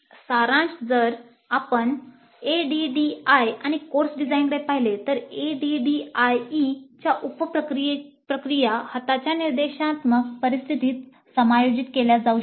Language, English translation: Marathi, So, in summary if you look at ADD and course design, the sub process of ADE can be adjusted to instructional situation on hand